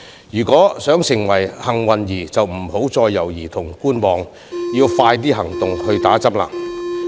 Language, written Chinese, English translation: Cantonese, 如果想成為幸運兒便不要再猶豫和觀望，要盡快行動，接種疫苗。, Whoever wants to be the lucky one should not hesitate and wait anymore and act quickly to get vaccinated